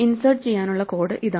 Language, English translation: Malayalam, Here is the code for insert